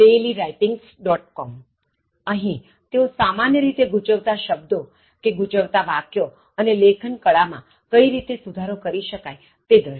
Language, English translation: Gujarati, com, so they generally deal with confused words, confused expressions, and how to improve your writing skills in general